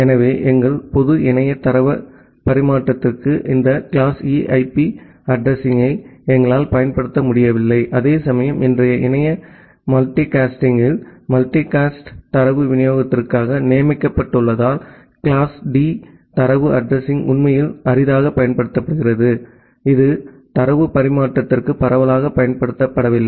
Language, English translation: Tamil, So, we are not able to use this class E IP address for our general internet data transfer whereas, class D data address because they are designated for multicast data delivery in today’s internet multicast are actually rarely used it is not used widely for data transfer